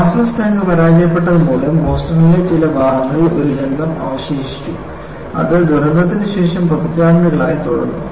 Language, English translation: Malayalam, The problem with molasses tank failure was this left a characteristic smell in parts of Boston, which remained for several decades after the disaster